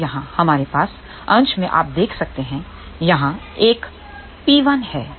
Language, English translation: Hindi, Now here, we have in the numerator you can see here there is a P 1